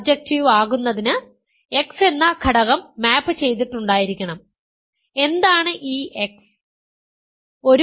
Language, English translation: Malayalam, In order to be surjective there must be an element x which maps to that, what is this x